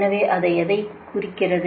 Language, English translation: Tamil, so what does it signify